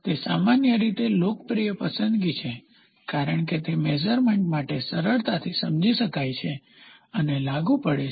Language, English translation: Gujarati, It is generally a popular choice as it is easily understood and applied for the purpose of measurement